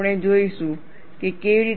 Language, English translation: Gujarati, We will see how